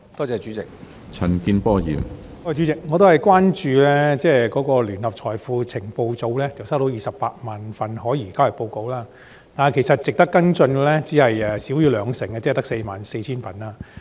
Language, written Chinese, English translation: Cantonese, 主席，我同樣關注到，聯合財富情報組接獲的可疑交易報告有280000宗，但當中值得跟進的不足兩成，即44000宗。, President I am also concerned that JFIU has received 280 000 STRs but only less that 20 % of them ie . 44 000 reports were worth following up